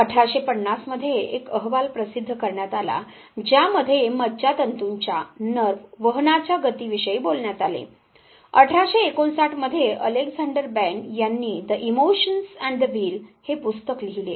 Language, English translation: Marathi, A report was published in 1850 that talked about speed of nerve conduction; in 1859 Alexander Bain wrote a book 'The Emotions and the Will'